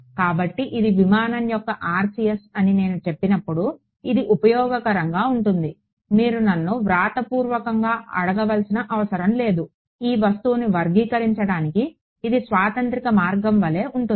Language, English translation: Telugu, So, it is useful when I say this is the RCS of an aircraft you do not have to ask me in written, at what distance right it is more like a universal way to characterize this object